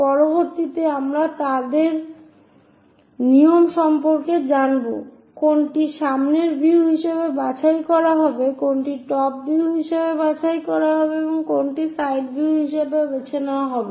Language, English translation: Bengali, Later we will learn about their rules which one to be picked as front view, which one to be picked as top view and which one to be picked as side view